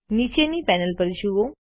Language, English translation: Gujarati, Look at the bottom panel